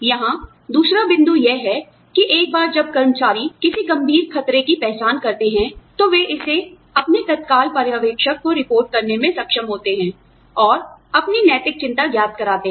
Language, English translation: Hindi, The other point here is, once employees identify a serious threat, they are able to report it to their immediate supervisor, and make their moral concern, known